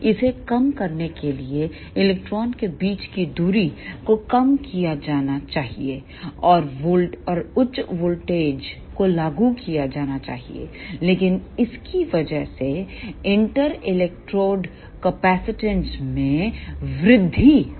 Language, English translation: Hindi, To minimize this affect the distance between the electrodes should be ah reduced and high voltages should be applied, but because of this ah inter electrode capacitance will increase